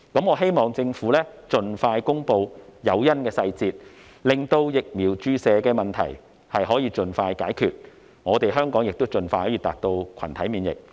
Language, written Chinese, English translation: Cantonese, 我希望政府盡快公布誘因的細節，令疫苗注射的問題可以盡快解決，香港可盡快達到群體免疫。, I hope that the Government will expeditiously announce the details of the incentives so that the problems associated with vaccinations can be solved as soon as possible and Hong Kong can reach herd immunity as soon as possible